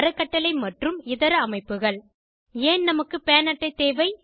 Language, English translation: Tamil, Trust and many other bodies Why do we need a PAN card